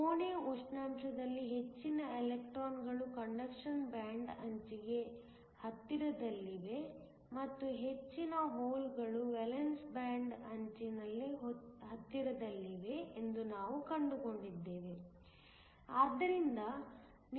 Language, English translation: Kannada, We found that at room temperature, most of the electrons are located close to the conduction band edge and most of the holes are located close to the valence band edge